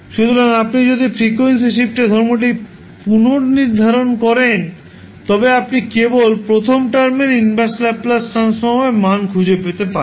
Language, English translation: Bengali, So, if you recollect the frequency shift property, you can simply find out the value of inverse Laplace transform of first term